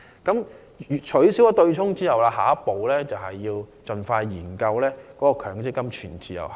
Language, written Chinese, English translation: Cantonese, 在取消對沖安排後，下一步是盡快研究強積金全自由行。, The next step following the abolition of the offsetting arrangement is to expeditiously conduct studies on the full portability of MPF